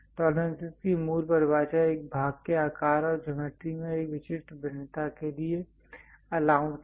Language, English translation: Hindi, The basic definition for tolerances it is an allowance for a specific variation in the size and geometry of a part